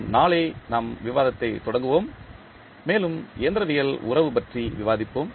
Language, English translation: Tamil, We will continue our discussion tomorrow where, we will discuss about the further mechanical relationship